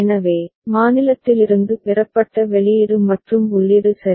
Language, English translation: Tamil, So, output derived from the state as well as the input ok